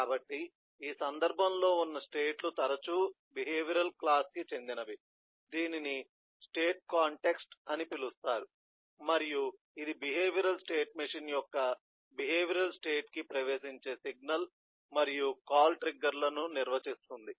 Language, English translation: Telugu, so the state in the, in this context, eh, will often be owned by the behavioral class which is called the context of the state and which defines the signal and call triggers that will make an entry into the behavioral state of a behavioral state machine